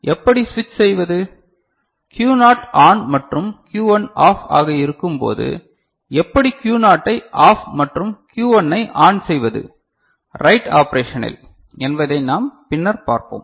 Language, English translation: Tamil, And how to switch them if say Q naught is ON alright and Q1 is OFF how to make Q naught OFF and Q1 ON in the writet operation that we shall see little later, is it fine right